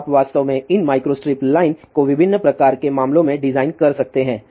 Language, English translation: Hindi, So, you can actually design this micro strip line in wide variety of the cases